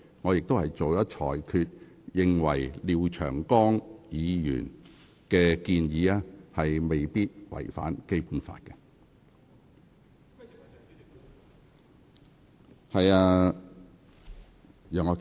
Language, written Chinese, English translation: Cantonese, 我已在裁決中表明，我認為廖長江議員的擬議決議案未必違反《基本法》。, I have stated clearly in my ruling that I think Mr Martin LIAOs proposed resolution may not necessarily contravene the Basic Law